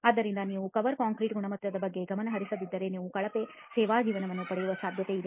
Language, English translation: Kannada, So if you do not pay attention to the quality of cover concrete you are likely to get a poor service life